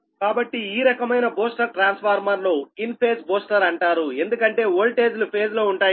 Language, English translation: Telugu, so this type of booster transformer is called an in phase booster because the voltage are in phase, so v a n does can be adjusted by